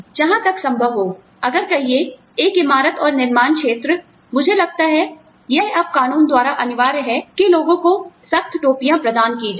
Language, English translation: Hindi, As far as possible, if it is, say, a building and construction area, I think, it is now mandated by law, to provide hard hats to people